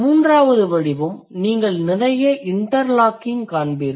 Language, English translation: Tamil, The third category you will see a lot of interlocking